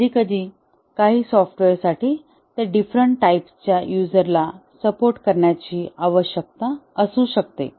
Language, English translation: Marathi, Sometimes for some software, it may be required that they support various types of users